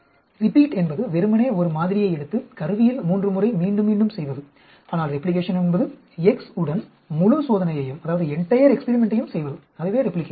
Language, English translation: Tamil, Repeat is just taking a sample and repeating the measurement in the instrument three times, but replication is by performing the entire experiment with the x’s; that is replication